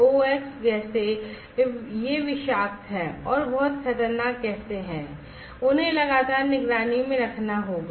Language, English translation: Hindi, SOx gases, these are toxic and are very dangerous gases so; they will have to be detected monitored continuously